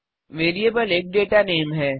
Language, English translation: Hindi, Variable is a data name